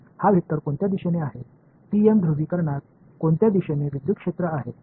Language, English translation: Marathi, In what direction is this vector is in which direction, electric field in which direction in the TM polarization